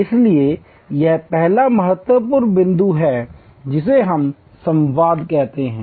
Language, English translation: Hindi, So, that is the first important point what we call dialogue